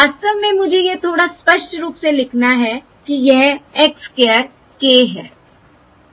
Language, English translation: Hindi, In fact, let me just write this little clearly: this is x square of k